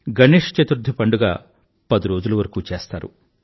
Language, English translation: Telugu, Ganesh Chaturthi is a tenday festival